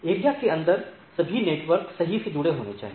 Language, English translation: Hindi, All network inside the area must be connected right